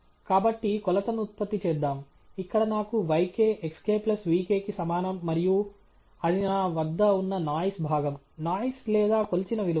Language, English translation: Telugu, So, let us generate the measurement; here I have yk equals xk plus vk and that’s the noise part I have, noise or the measured value